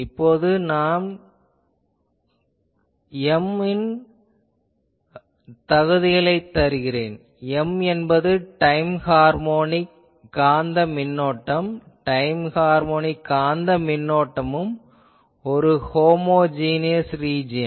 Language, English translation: Tamil, Now, I give the qualifications of M that M is a time harmonic magnetic current, time harmonic magnetic current also the whole region is a Homogeneous region